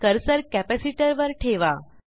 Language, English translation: Marathi, Point the cursor on capacitor